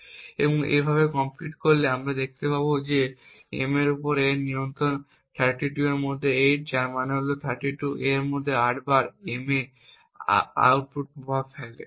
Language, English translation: Bengali, So computing in this way we see that the control of A on M is 8 out of 32 which would mean that 8 times out of 32 A has an influence on the output M, so this use a value of 0